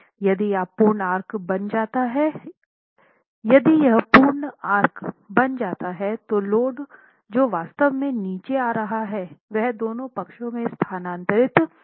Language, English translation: Hindi, If this complete arch can be formed then the load that is actually coming down to the opening gets diverted to the two sides